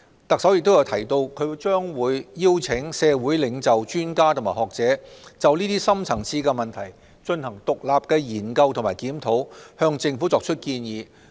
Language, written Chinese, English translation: Cantonese, 特首亦提到，她將會邀請社會領袖、專家及學者，就這些深層次問題，進行獨立的研究及檢討，向政府提出建議。, She also mentioned that she will invite community leaders professionals and academics to independently examine and review these deep - seated problems and to advise the Government on finding solutions